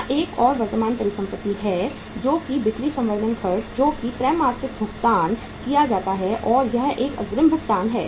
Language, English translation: Hindi, One more current asset here is sales promotion expenses paid quarterly and in advance